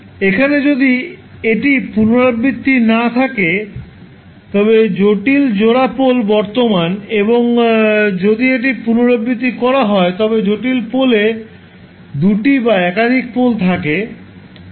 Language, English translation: Bengali, Now, pair of complex poles is simple, if it is not repeated and if it is repeated, then complex poles have double or multiple poles